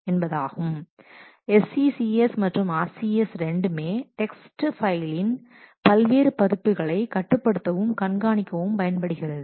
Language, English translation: Tamil, Either SCCS or RCS they can be used for controlling and managing different versions of text files